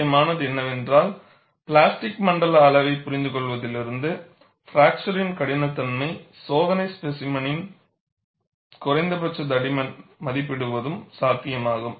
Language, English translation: Tamil, And what is important is, from the understanding of plastic zone size, it is also possible for us, to estimate a minimum thickness of fracture toughness test specimen